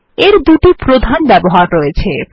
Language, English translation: Bengali, It has two major uses